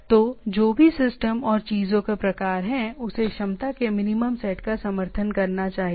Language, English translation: Hindi, So the whichever is the system and type of things, it should support a minimum set of capability